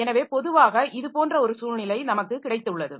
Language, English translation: Tamil, So, typically we have got a situation like this